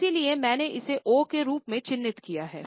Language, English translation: Hindi, So, we have marked it as O